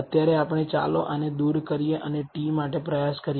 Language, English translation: Gujarati, For the time being let us actually remove this and try the t